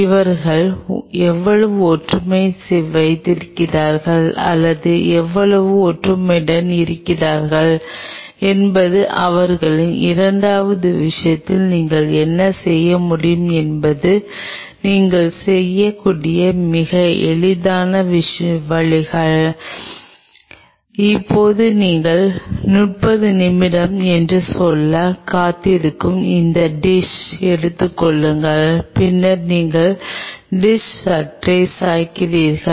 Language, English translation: Tamil, How much similarity they have or how much dissimilarity they have how much close in their second thing what you can do is a very easy ways you take this dish you wait for say now thirty minutes and then you just slightly tilt the dish